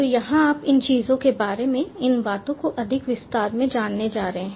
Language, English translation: Hindi, so, ah, here you are going to learn about ah, ah, you know these things in more detail